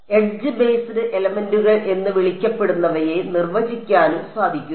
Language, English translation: Malayalam, It is also possible to define what are called edge based elements